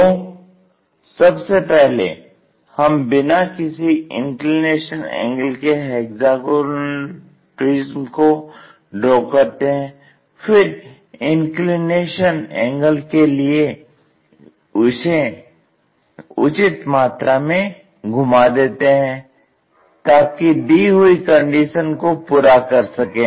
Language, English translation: Hindi, So, first it is a hexagonal prism whatever might be the inclination angles, first begin with a picture, then suitable rotations we make it, so that the given conditions will be met